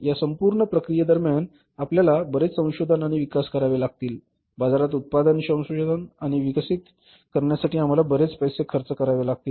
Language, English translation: Marathi, During this entire process you have to do lot of research and development, you have to spend lot of money for researching and developing the product in the market